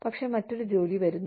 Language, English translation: Malayalam, But, something else comes in